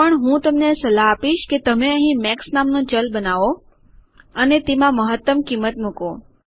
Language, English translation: Gujarati, What I also recommend you to do is create a variable here called max and put your maximum value here This will do exactly the same thing